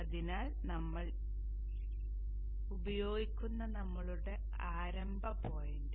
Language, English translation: Malayalam, So that is our starting point that we will use